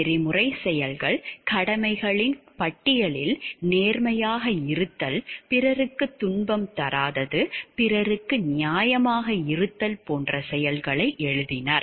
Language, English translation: Tamil, Ethical actions are those actions that could be written down on a list of duties be honest don't cause suffering to other people be fair to others etc